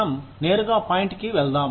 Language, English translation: Telugu, Let us get straight to the point